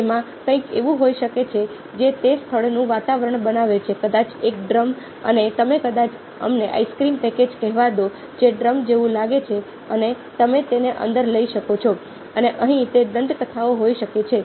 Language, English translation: Gujarati, it can have something which creates the ambiance of that place, maybe a drum, ok, and you might have, lets say, have ice cream package which looks like a drum and you can have bit in side and here may be those legends can be there